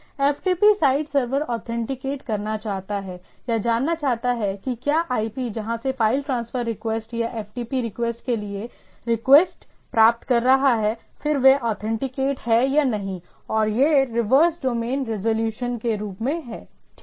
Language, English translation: Hindi, The ftp site server wants to authenticate or wants to know that whether the IP where from it is getting a request for a file transfer request or ftp request, then whether that is an authorised or not and it does as a reverse domain resolution ok